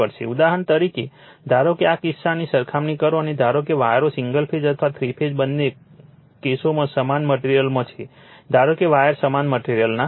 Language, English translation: Gujarati, For example, suppose we will compare this cases and assume in both that the wires are in the same material in both the cases single phase or three phase, we assume that wires are of made same material right